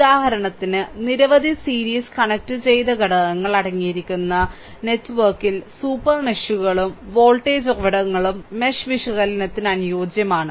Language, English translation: Malayalam, For example, in network right in network that contains many series connected elements right super meshes or voltage sources are suitable for mesh analysis right